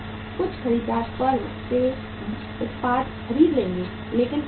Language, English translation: Hindi, Some buyer will buy the product from the firm but on the credit